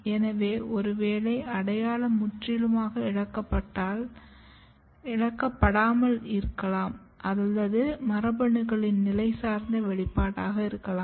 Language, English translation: Tamil, So, may be the identity is not completely lost or maybe this could be the position dependent expression of the genes